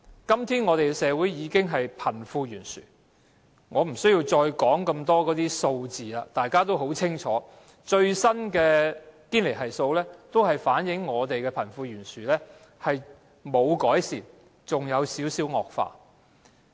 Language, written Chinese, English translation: Cantonese, 今天香港的社會已經是貧富懸殊，我也無需再多說有關的數字，大家已經很清楚，最新的堅尼系數反映香港的貧富懸殊情況沒有改善，甚至更有一點惡化。, There is already a gap between the rich and the poor nowadays and I do not need to further explain the figures concerned for Members should know only too well that the latest Gini Coefficient has not reflected any improvement in the wealth gap in Hong Kong and worse still there is even some slight worsening of it